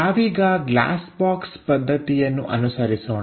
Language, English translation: Kannada, So, let us use glass box method